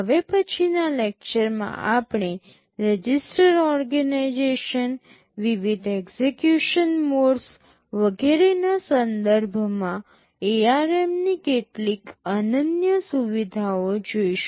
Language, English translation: Gujarati, In the next lecture, we shall be looking at some of the unique features of ARM with respect to register organization, the various execution modes and so on